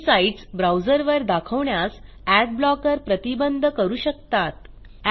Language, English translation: Marathi, * Adblocker may prevent some sites from being displayed on your browser